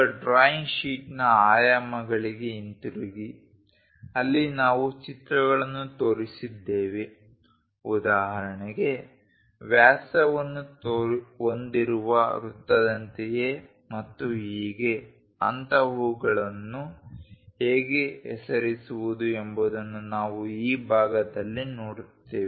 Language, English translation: Kannada, Now, coming back to the dimensions of the drawing sheet, where we have shown the pictures for example, something like a circle with diameter and so, on so, things how to name such kind of things we are going to look at in this section